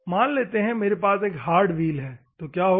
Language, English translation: Hindi, Assume that if I have a hard wheel, what will happen